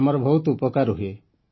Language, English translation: Odia, We are benefited